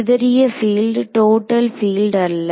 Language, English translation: Tamil, Scattered field, not the total field